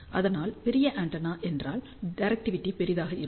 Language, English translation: Tamil, So, larger the antenna, larger will be the directivity